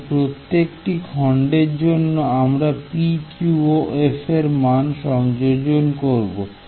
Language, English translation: Bengali, For each segment we just put in the value or the midpoint of p q and f